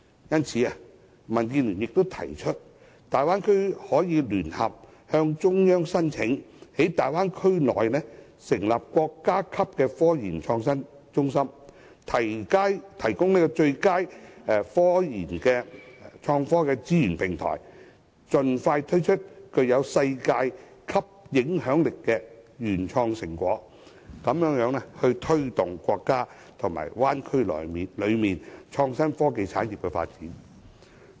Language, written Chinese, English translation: Cantonese, 因此，民主建港協進聯盟建議，大灣區可聯合向中央申請在區內成立國家級科研創新中心，提供最佳科研及創科的資源平台，盡快推出具世界影響力的原創成果，以推動國家及大灣區內的創新科技產業的發展。, For this reason the Democratic Alliance for the Betterment and Progress of Hong Kong DAB proposes that all Bay Area cities should lodge a joint application to the Central Authorities for establishing a state - level centre of technological research and innovation . The centre should serve as a platform that provides IT research with the best possible resource support so as to quicken the pace of producing original research results of global significance and in turn boost the development of the IT industry in the Bay Area and across the country